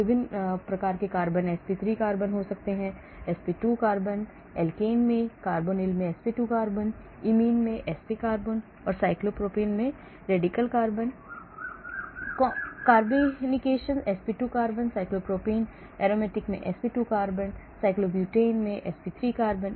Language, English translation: Hindi, different types of carbons, sp3 carbon, sp2 carbon in alkene, sp2 carbon in carbonyl, imine, sp carbon, cyclopropane carbon, radical carbon, carbocation, sp2 carbon cyclopropene, sp2 carbon in aromatic, sp3 carbon in cyclobutane